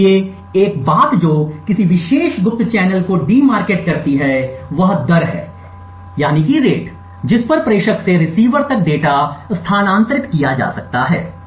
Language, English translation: Hindi, So, one thing that de markets a particular covert channel is the rate at which data can be transferred from the sender to the receiver